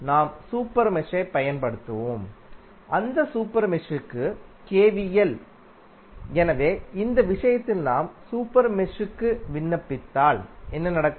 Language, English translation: Tamil, We will use the super mesh and apply KVL to that super mesh